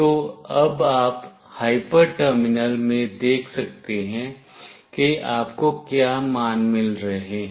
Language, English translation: Hindi, So, now you can see in the hyper terminal what values you are getting